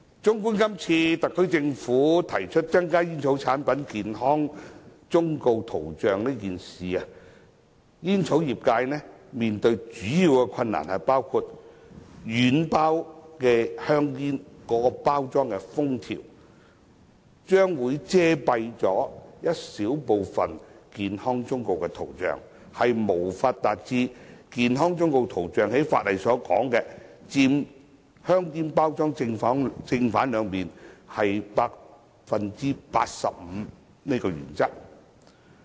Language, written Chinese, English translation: Cantonese, 綜觀今次特區政府提出增加煙草產品健康忠告圖像一事，煙草業界面對的主要困難包括：軟包香煙的包裝封條將會遮蔽小部分健康忠告圖像，因而無法符合法例健康忠告圖像佔香煙包裝正、背兩面 85% 的規定。, Insofar as the Governments proposal to increase the coverage of the health warnings on packets of tobacco products the major difficulties faced by the tobacco industry include as the seal on soft pack cigarettes covers a small portion of the graphic health warning it is impossible to comply with the statutory requirement that the health warning must cover 85 % of the front and back sides of cigarette packets; in respect of cigar products it is required that the health warning must cover 100 % of the back side of the container